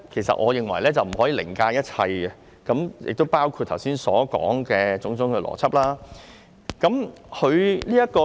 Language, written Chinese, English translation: Cantonese, 所以，我認為效率不可以凌駕一切，包括我剛才所說的種種邏輯。, Hence I do not think efficiency should be above everything because of all the reasons I just mentioned